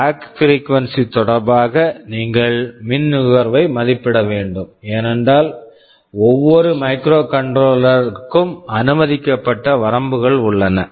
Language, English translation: Tamil, So, you should estimate the power consumption with respect to the clock frequency, we are using because every microcontroller has a range of permissible clock frequencies